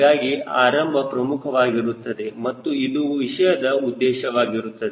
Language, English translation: Kannada, so beginning is extremely important and that is the purpose of this course